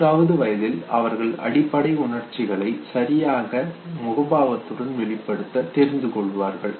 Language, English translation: Tamil, In the fourth year they can accurately match the basic emotions with the correct corresponding facial expression, okay